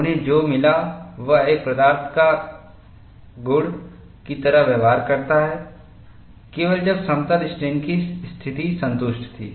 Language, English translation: Hindi, What they found was, it behaves like a material property, only when plane strain conditions were satisfied